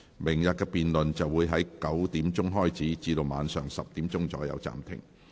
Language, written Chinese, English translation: Cantonese, 明天的辯論會在上午9時開始，晚上10時左右暫停。, The debate for tomorrow will start at 9col00 am and be suspended at about 10col00 pm